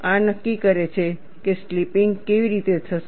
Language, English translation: Gujarati, This dictates how the slipping will take place